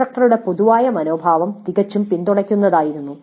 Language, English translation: Malayalam, The general attitude of the instructor was quite supportive